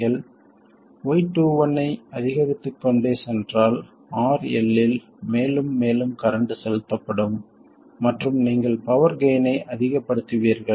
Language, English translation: Tamil, If you go on increasing Y21, more and more current will be pumped into RL and you will maximize the power gain